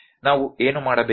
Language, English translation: Kannada, What we need to do